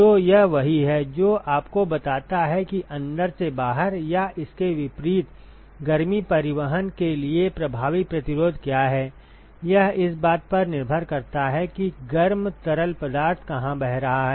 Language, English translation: Hindi, So, that is what tells you what is the effective resistance for heat transport from the inside to the outside or vice versa, depending upon where the hot fluid is flowing